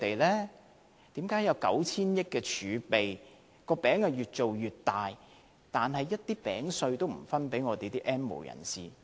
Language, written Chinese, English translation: Cantonese, 為何當局有 9,000 億元盈餘，"餅"越造越大，但一點餅屑也不分給 "N 無人士"？, With a fiscal surplus of 900 - odd billion the cake is getting bigger and bigger why then does the Government not give some crumbs to the N have - nots?